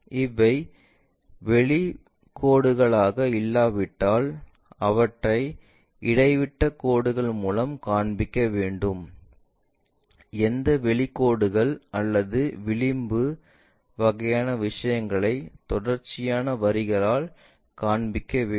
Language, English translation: Tamil, Unless these are outlines we show them by dash lines, any out lines or the edge kind of things we have to show it by continuous lines